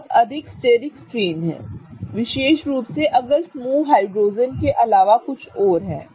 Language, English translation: Hindi, Okay, so there is a lot of steric strain especially if the group is something other than hydrogen